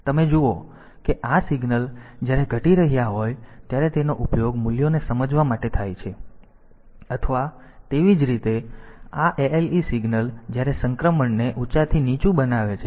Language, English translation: Gujarati, So, they are used for they are used for sensing the values or similarly this ale signal is when it is making the transition high to low